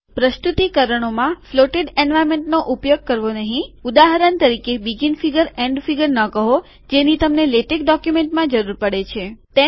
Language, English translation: Gujarati, Do not use floated environments in presentations, for example, dont say begin figure, end figure which u need in the latex document